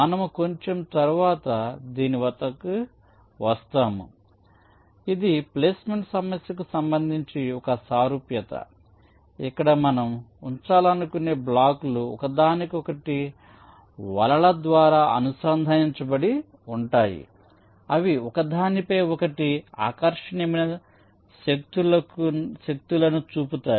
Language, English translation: Telugu, this is a analogy with respect to the placement problem, where we say that the blocks that we want to place, which are connected to each other by nets, they exert attractive forces on each other